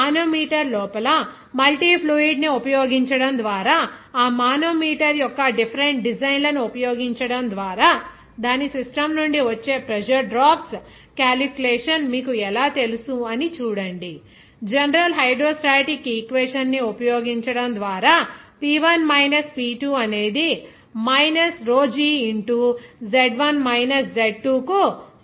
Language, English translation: Telugu, See how you know simple this calculation of the pressure drops from its system by using different designs of that manometer by using multi fluid inside the manometer, just by using simple hydrostatic equation of P1 minus P2 will be is equal to minus of rho g into Z1 minus Z2, this equation